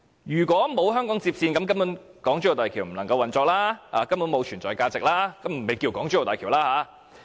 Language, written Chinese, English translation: Cantonese, 如果沒有香港接線，港珠澳大橋根本便無法運作、沒有存在價值，亦不會稱作港珠澳大橋。, Without the HKLR the HZMB would not be able to function nor have value of existence let alone being called the HZMB